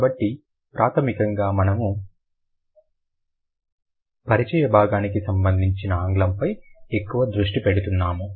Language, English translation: Telugu, So, primarily we have been focusing a lot on English as far as the introductory portion is concerned